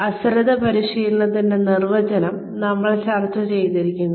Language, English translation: Malayalam, We had discussed, the definition of negligent training